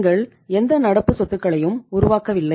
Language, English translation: Tamil, You are in between you are not generating any any current assets